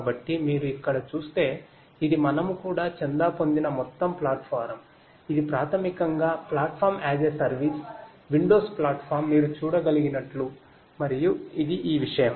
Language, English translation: Telugu, So, if you look over here this is this overall platform that we have also subscribe to, this is basically the Platform as a Service; windows platform as you can see and this is this thing and we also